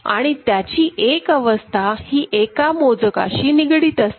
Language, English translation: Marathi, And one particular state is associated with one specific count